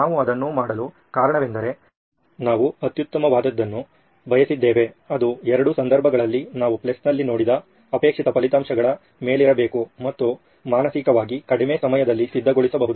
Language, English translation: Kannada, The reason we did that was that we wanted an optimum that is the desired results that we saw in the plus in both cases have to be on top and so that we can mentally visualise that less time of preparation